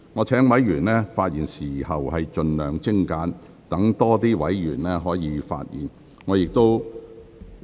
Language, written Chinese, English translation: Cantonese, 請委員發言時盡量精簡，讓更多委員可以發言。, Members should be as concise as possible in their speeches so that more Members can speak